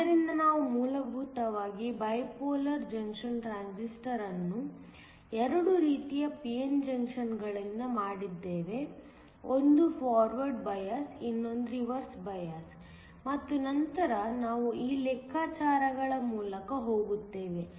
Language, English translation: Kannada, So, we essentially treat a bipolar junction transistor has made up of two kinds of p n junctions; one forward biased, the other reversed bias and then we go through this calculations